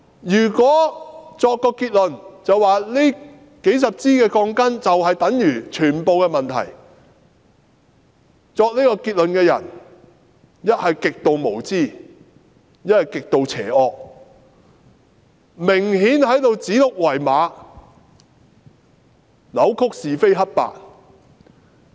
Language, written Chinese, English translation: Cantonese, 如果說這數十支鋼筋就等於全部問題，作出這個結論的人一則極度無知，一則極度邪惡，顯然在指鹿為馬，扭曲是非黑白。, If these dozens of problematic rebars are taken to be the equivalent of the entire problem the person who drew this conclusion is either extremely naïve or extremely evil . He is obviously calling a stag a horse and confounding right with wrong